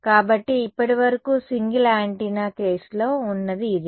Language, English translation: Telugu, So, so far this is what I had in the single antenna case now right